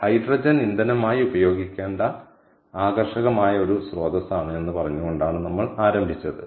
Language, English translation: Malayalam, we started by saying that hydrogen is an attractive source ah of is an attractive ah candidate to be used as fuel